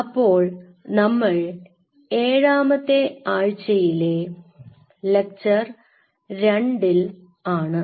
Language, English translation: Malayalam, So, we are into week 7 lecture 2